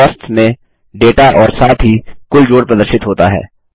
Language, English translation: Hindi, The data under Costs as well as the grand total is displayed